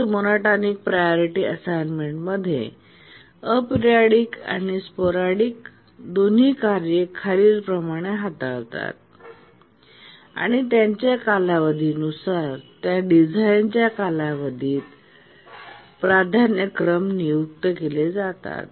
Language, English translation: Marathi, In the rate monotonic priority assignment we had so far looked at only periodic tasks and based on their period we assign priorities during that design time